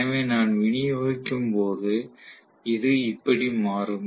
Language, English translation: Tamil, So when I distribute, how exactly this gets modified